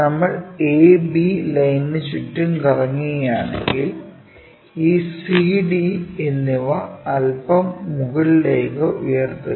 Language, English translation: Malayalam, If we are rotating about A B line, lifting up this C and D bit up